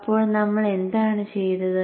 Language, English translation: Malayalam, So what is it that we have done